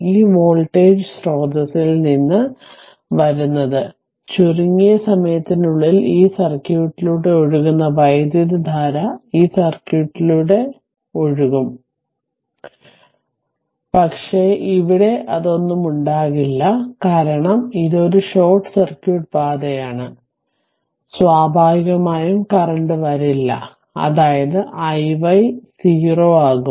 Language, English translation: Malayalam, Coming from this voltage source, ah as soon as you short it, so what will happen the current actually ah will flow through this circui[t] will flow through this circuit, but there will be nothing here, because it is a short circuit path, so naturally current will not flow through this, that means, your i y will become 0 right